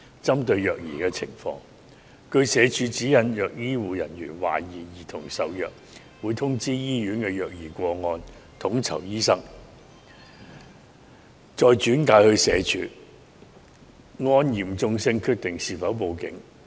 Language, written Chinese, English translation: Cantonese, 針對虐兒情況，根據社署指引，如醫護人員懷疑兒童受虐，會通知醫院的虐兒個案統籌醫生，再轉介社署，按嚴重性決定是否報警。, With regards to child abuse cases under the guidelines of SWD if health care workers suspect that the child has been abused the case coordinator in the hospital will be notified and the case will be referred to SWD . According to the severity of the case the relevant personnel may decide if the case should be reported to the Police